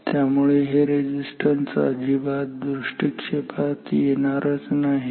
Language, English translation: Marathi, So, these resistances they do not come into picture at all